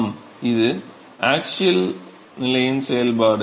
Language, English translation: Tamil, Yes this is the function of axial position